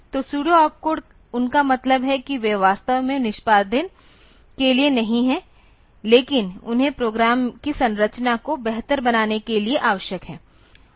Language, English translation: Hindi, So, peuso op code they mean that they are actually not for execution, but they are required for making the program structure better